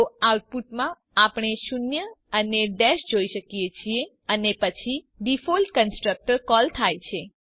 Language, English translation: Gujarati, So in the output we see zero and dash when the default constructor is called